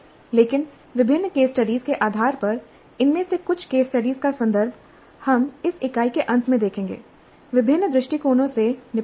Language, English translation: Hindi, But based on different case studies, the references to some of these case studies we'll get at the end of these units dealing with different approaches